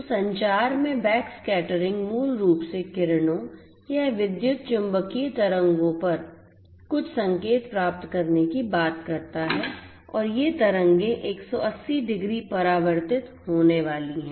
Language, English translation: Hindi, So, backscattering in communication basically talks about in getting certain signals on the rays or the electromagnetic waves and these waves are going to get reflected back 180 degrees